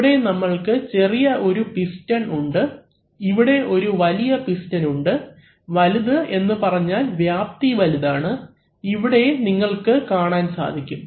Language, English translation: Malayalam, So, if we have a small piston here and if we have a large piston here, large means the area is large as you can see